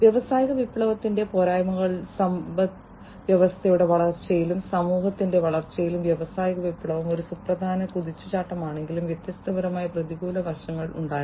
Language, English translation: Malayalam, The drawbacks of industrial revolution was that even though industrial revolution was a significant leap in the growth of economy, in the growth of city society, and so, on there were different negative aspects